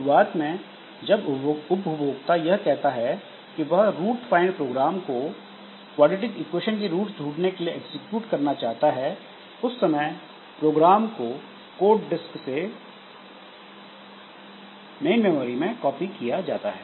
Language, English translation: Hindi, So, if this process has to execute that program for finding roots of quadrary equation, then the next step is to copy the program from the disk into the main memory